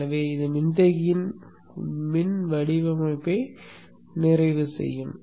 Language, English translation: Tamil, So this would complete the electrical design of the capacitance